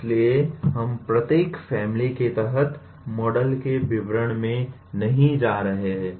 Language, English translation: Hindi, So we are not going to get into the details of the models under each family